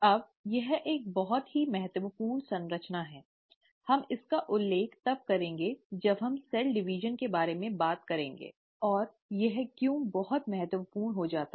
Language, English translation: Hindi, Now this is a very important structure, we will refer this to, we’ll come back to this when we are talking about cell division and why it becomes very important